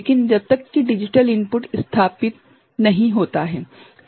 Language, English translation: Hindi, Only during the digital input is established ok